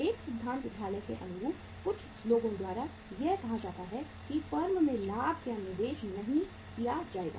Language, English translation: Hindi, One school of thought in the theory you will find is some people will say that profit is not going to be invested by the firm